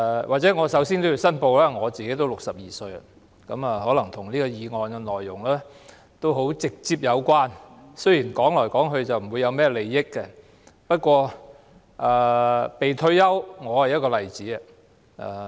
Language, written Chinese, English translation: Cantonese, 或者我首先也要申報，我已經62歲，可能與這項議案的內容直接有關，雖然單是談論，不會涉及甚麼利益，不過，說到"被退休"，我便是一個例子。, Perhaps I should make a declaration first . I am already 62 years old . I may be directly related to the content of this motion though a mere discussion will not involve any interest